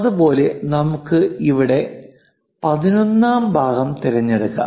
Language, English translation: Malayalam, Similarly, let us pick 11th part here